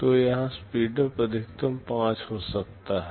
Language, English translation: Hindi, So, here the speedup can be maximum 5